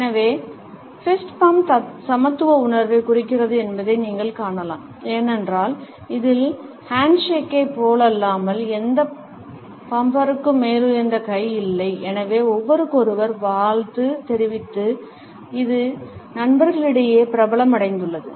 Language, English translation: Tamil, So, you would find that the fist bump indicates a sense of equality, because in this unlike the handshake neither bumper has the upper hand and therefore, it has gained popularity among friends to greet each other